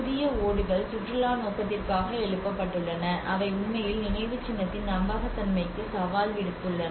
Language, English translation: Tamil, And the new tiles: Where they have raised for the tourism purpose you know that have actually raised and challenge to the authenticity of the monument